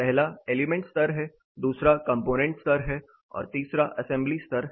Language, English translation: Hindi, The first is the element level, second is a component level and third is an assembly level